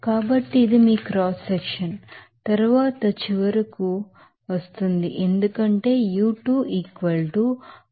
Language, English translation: Telugu, So, this is your cross section then it will come finally, as u2 = 424